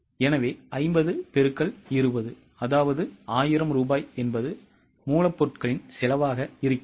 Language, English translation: Tamil, So, 50 into 20 gives us 1,000 rupees as material cost